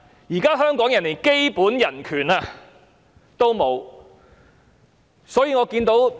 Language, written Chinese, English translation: Cantonese, 現在香港人連基本人權也沒有。, Nowadays Hong Kong people do not even enjoy fundamental human rights